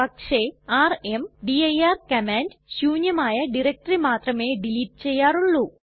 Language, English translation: Malayalam, But rmdir command normally deletes a directory only then it is empty